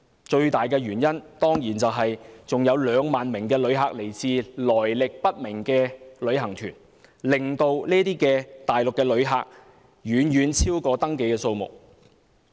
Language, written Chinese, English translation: Cantonese, 最大的原因當然是有2萬名旅客來自來歷不明的旅行團，令大陸旅客的人數遠遠超過登記的數目。, Definitely this should mainly be attributed to the 20 000 tourists coming to Hong Kong on unknown tours making the number of Mainland tourists arriving far exceeding the registered number